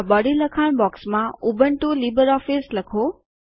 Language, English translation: Gujarati, In the Body text box type:Ubuntu Libre Office